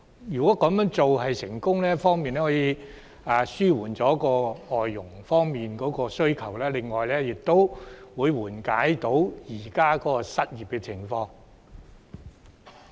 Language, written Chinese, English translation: Cantonese, 如果這方法取得成功，既可紓緩市民對外傭的需求，亦會緩解本港現時的失業情況。, If this method is successful not only can the public demand for FDHs be met but the unemployment in Hong Kong will also be alleviated